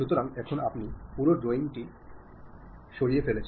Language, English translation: Bengali, So, now, entire drawing you has been lost